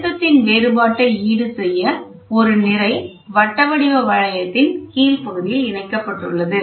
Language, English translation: Tamil, A mass to compensate for the difference in pressure is attached to the lower part of the ring